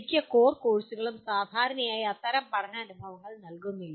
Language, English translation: Malayalam, Most of the core courses do not generally provide such learning experiences